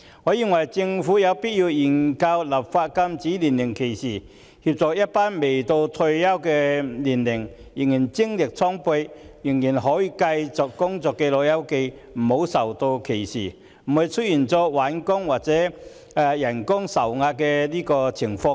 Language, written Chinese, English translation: Cantonese, 我認為政府有必要研究立法禁止年齡歧視，以免一群未達退休年齡但仍然精力充沛並可以繼續工作的"老友記"遭受歧視，亦避免出現就業困難和薪金受壓的情況。, I think the Government must study the possibility of enacting legislation against age discrimination to protect these energetic old pals who have not yet reached the retirement age and still wish to work from discrimination and spare them the employment difficulties and suppression in wages